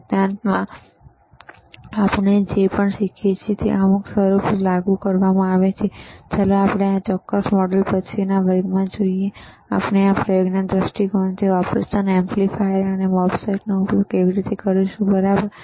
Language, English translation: Gujarati, wWhatever we learn in theory applied, is applied in some form and let us see in few lectures from after this particular module, how we are going to use the operation amplifiers and MOSFETs for the from the experiment point of view, all right